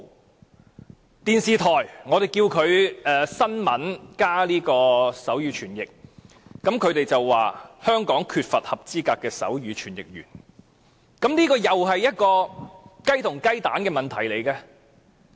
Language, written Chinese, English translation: Cantonese, 我們要求電視台報道新聞時加設手語傳譯，但他們說香港缺乏合資格的手語傳譯員，這又是一個雞與雞蛋的問題。, We requested the television stations to provide sign language interpretation service in their news programmes but they said that there was a lack of qualified sign language interpreters in Hong Kong . This is again a chicken and egg situation